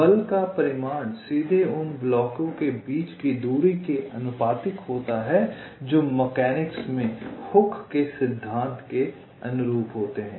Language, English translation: Hindi, magnitude of the force is directly proportional to the distance between the blocks, which is analogous to hookes law in mechanics